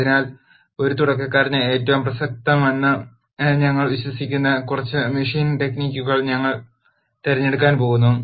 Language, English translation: Malayalam, So, we are going to pick a few machine techniques which we believe are the most relevant for a beginner